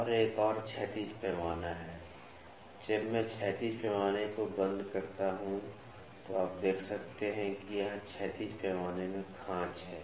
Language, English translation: Hindi, And, there is another horizontal scale, when I close the horizontal scale you can see that there is slot here in the horizontal scale